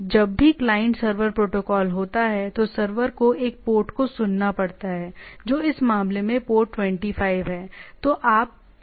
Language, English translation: Hindi, Now now whenever there is a there is a client server protocol, the server needs to listen at one port which is port 25 in this case